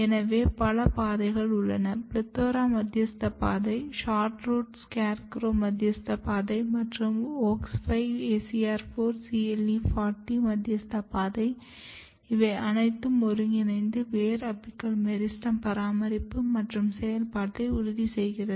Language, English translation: Tamil, So, if you look here carefully, so there are multiple pathways PLETHORA mediated pathway SHORTROOT SCARECROW mediated pathways, and then WOX5 ACR4 CLE40 mediated pathway, all of them working together to ensure proper root apical meristem maintenance and the function